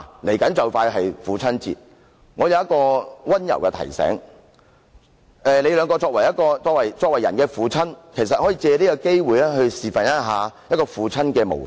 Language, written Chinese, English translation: Cantonese, 父親節快到了，我有一個溫馨提示，你們都為人父親，其實你們可以藉此機會作父親的模範。, Fathers Day is coming and I have a gentle reminder for both of them as fathers you can actually take this opportunity to set a good example for your children